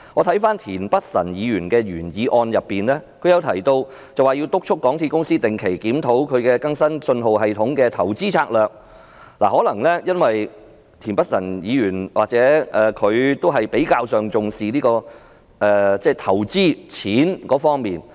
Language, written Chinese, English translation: Cantonese, 田北辰議員的原議案提出有需要"督促港鐵公司定期檢討其更新信號系統的投資策略"，這或許是由於田北辰議員較為重視投資和金錢方面。, Mr Michael TIENs original motion raises the necessity of urging MTRCL to regularly review its investment strategy of updating the signalling system . The reason may be that Mr Michael TIEN is more concerned about the investment and money aspects